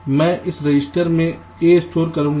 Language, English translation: Hindi, i will also stored a in this register